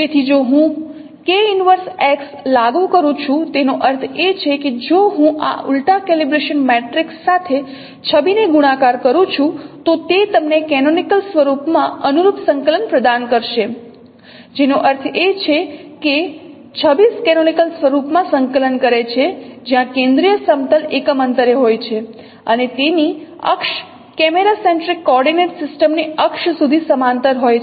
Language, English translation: Gujarati, So if I apply the k inverse x, that means if I multiply the image coordinate with this inverse of calibration matrix it will provide you the corresponding coordinate in the canonical form which means no the image coordinate in the canonical form where the focal plane is at the unit distance and its axis are parallel to the axis of the camera centric coordinate system